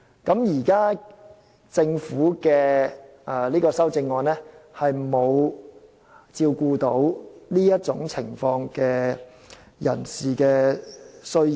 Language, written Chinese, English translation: Cantonese, 現時政府的修正案沒有照顧這種情況下的人士的需要。, The amendments proposed by the Government now do not cater to the needs of people in this situation